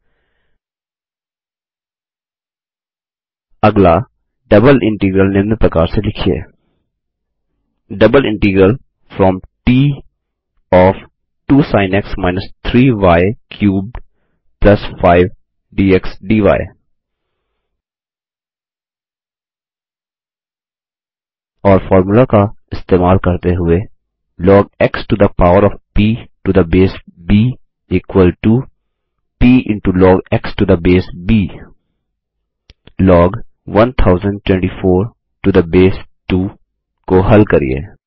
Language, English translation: Hindi, Next, write a double integral as follows: Double integral from T of { 2 Sin x – 3 y cubed + 5 } dx dy And using the formula: log x to the power of p to the base b is equal to p into log x to the base b solve log 1024 to the base 2 Format your formulae